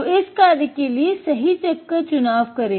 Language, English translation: Hindi, So, select the right chuck for the job